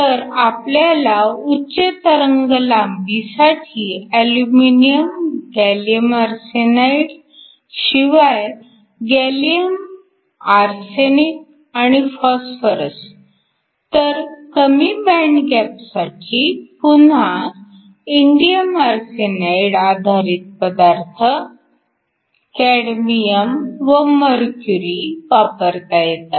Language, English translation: Marathi, So, you have aluminum, gallium arsenide can also have gallium arsenic and phosphorus for the higher wavelengths or the lower bind gaps can again have indium arsenide base materials, cadmium and mercury